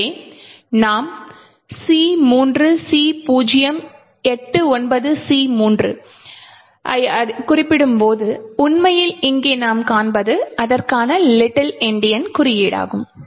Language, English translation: Tamil, So, therefore, when we specify C3C089C3 what we actually see here is little Endian notation for the same